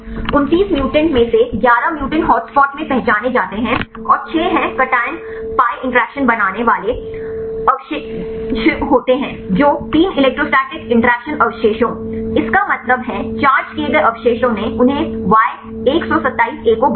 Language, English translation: Hindi, Among 29 mutants 11 mutants are identified in hotspots and 6 are cation pi interaction forming residues, 3 electrostatic interactions forming residues; that means, charged residues they mutailed Y127A